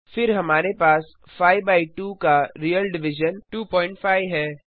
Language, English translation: Hindi, then we have the real division of 5 by 2 is 2.5